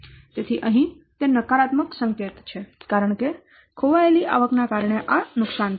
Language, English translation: Gujarati, So here it is negative sign because this is loss due to the lost revenue